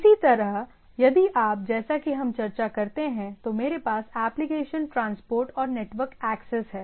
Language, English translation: Hindi, so if you look at, so I have application transport and network access